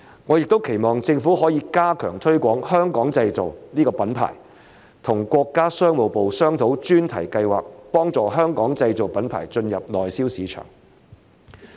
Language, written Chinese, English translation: Cantonese, 我也期望政府可以加強推廣"香港製造"這個品牌，與國家商務部商討專題計劃，幫助香港製造品牌進入內銷市場。, I also hope that the Government will step up promotion of the Made in Hong Kong brand and discuss thematic projects with the Ministry of Commerce to help Hong Kong - made brands enter the Mainland market